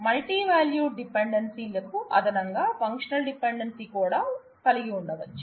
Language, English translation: Telugu, So, that in addition to the multi value dependencies, I can also have a functional dependency